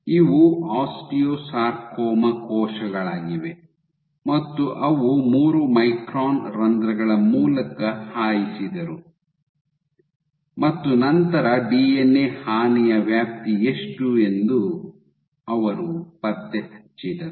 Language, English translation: Kannada, So, these are osteosarcoma cells they passed them through the3 micron pores and then they tracked what is the extent of DNA damage